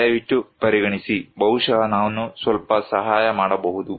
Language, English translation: Kannada, Please consider, maybe I can help a little bit